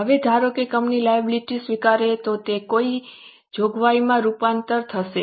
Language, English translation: Gujarati, Now, suppose company accepts the obligation, it will get converted into what